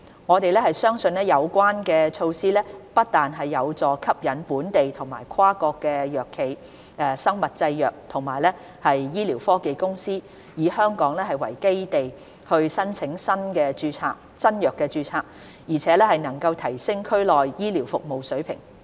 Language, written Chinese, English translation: Cantonese, 我們相信有關措施不但有助吸引本地和跨國藥企、生物製藥和醫療科技公司以香港為基地申請新藥註冊，而且能夠提升區內醫療服務的水平。, We believe that the new measure will not only help attract local and multinational pharmaceutical biomedical and medical technology companies to apply for registration of new pharmaceutical products in Hong Kong but also improve the level of healthcare services in the Greater Bay Area